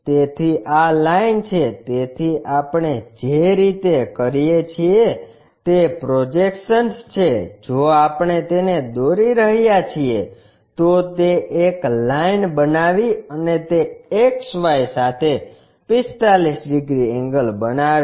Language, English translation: Gujarati, So, this is the line so, the way we do is projections if we are making it, it made a line and that is making 45 degrees angle with XY